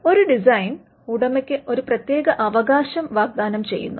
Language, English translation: Malayalam, A design offers an exclusive right to the owner